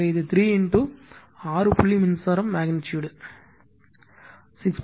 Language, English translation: Tamil, Therefore, it is 3 into six point current magnitude is 6